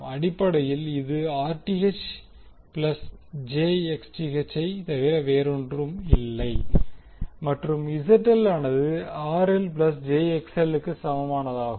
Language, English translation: Tamil, So, basically this is nothing but Rth plus j XTh and ZL is equal to RL plus j XL